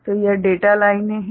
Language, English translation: Hindi, So, this is these are the data lines